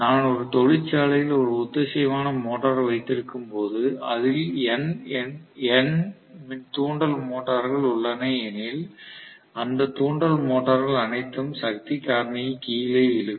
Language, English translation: Tamil, So, when I was a synchronous motor in a factory, which is, you know, having N number of induction motors, all those induction motors will pull down the power factor